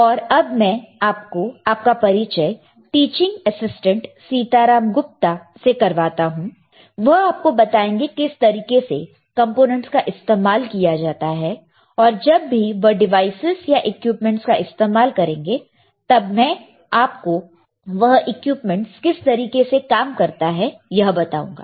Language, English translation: Hindi, So, let me introduce the teaching assistant, Sitaram Gupta, he will be showing you how to use the components, and as and when he is using the devices or using the equipment, I will tell you how the equipment works how you can use the devices, all right